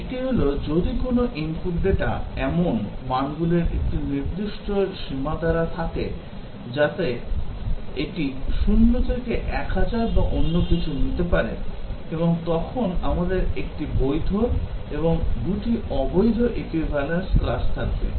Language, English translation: Bengali, One is that, if an input data is specified by a range of values that, it can take between zero to 1000 or something, and then we have 1 valid and 2 invalid equivalence classes